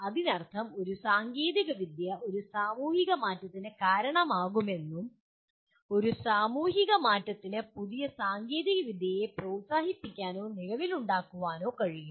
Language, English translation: Malayalam, That means a technology can cause a societal change and a societal change can encourage or bring new technology into existence